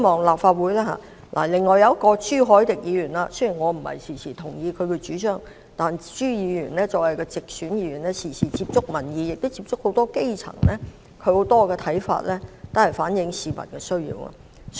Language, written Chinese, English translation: Cantonese, 另外是朱凱廸議員，雖然我並不經常同意他的主張，但朱議員作為直選議員，經常接觸民意及很多基層，他很多看法均能反映市民的需要。, I also have to mention Mr CHU Hoi - dick although I often disagree with his views . Yet as a Member returned through direct elections he maintains frequent contact with the public and the grass roots . Many of his views reflect the needs of the public